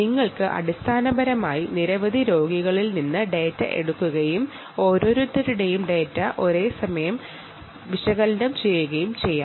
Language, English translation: Malayalam, so you could basically take data from several patients and simultaneously analyze ah the data from each one of them